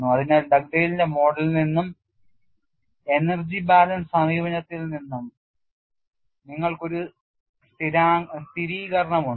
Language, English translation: Malayalam, So, you have a confirmation from Dugdale's model plus energy balance approach